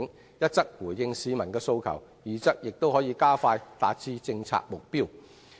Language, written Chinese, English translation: Cantonese, 這既可回應市民的訴求，亦有助加快達成政策目標。, This will not only address public demand but will also speed up the attainment of policy objectives